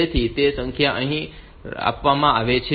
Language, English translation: Gujarati, So, that number is fed here